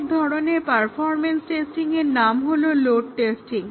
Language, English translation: Bengali, Another type of performance testing is the load testing